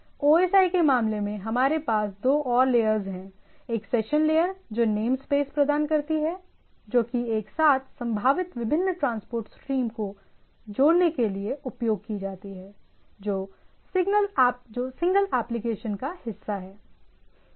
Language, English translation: Hindi, There are in case of OSI, we have two more layers, like session layer that provides name space that is used to tie together potentially different transport stream that are part of the single application